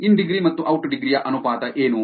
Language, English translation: Kannada, What is the ratio of in degree versus out degree